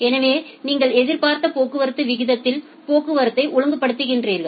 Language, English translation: Tamil, So, you are regulating the traffic at the expected traffic rate